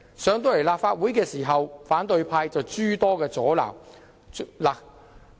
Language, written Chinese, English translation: Cantonese, 項目提交立法會後，反對派議員卻諸多阻撓。, After the project was submitted to this Council there has been so much opposition here